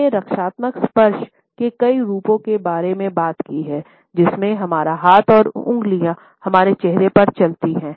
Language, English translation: Hindi, We have talked about several variations of the defensive touches, in which our hand and finger moves across our face